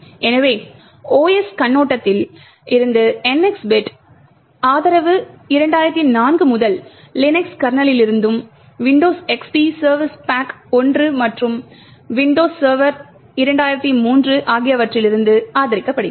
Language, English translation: Tamil, So, the NX bit support from the OS perspective has been supported from the Linux kernels since 2004 and also, Windows XP service pack 1 and Windows Server 2003